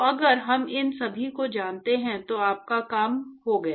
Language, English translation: Hindi, So, if we know all of these, then you are done